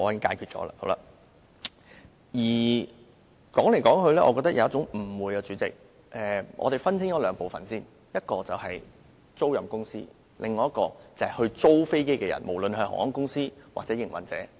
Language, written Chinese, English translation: Cantonese, 主席，說來說去，我覺得當中存在一個誤會，我們先分清兩部分，一部分是租賃公司，另一部分是承租人，不論是航空公司還是營運者。, To start with we have to distinguish two questions . First the leasing companies . Then the lessees regardless of whether they are airlines or aircraft operators